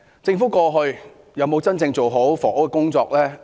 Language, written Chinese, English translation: Cantonese, 政府過去有否真正做好房屋工作呢？, Did the Government work seriously on housing issues in the past?